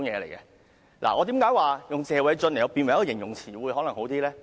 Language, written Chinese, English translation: Cantonese, 為何我認為以"謝偉俊"為形容詞較好呢？, Why do I consider the term Paul - TSE a better adjective then?